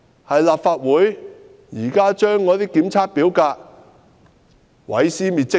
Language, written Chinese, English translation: Cantonese, 是立法會把那些檢測表格毀屍滅跡嗎？, Is it the Legislative Council which destroyed those RISC forms?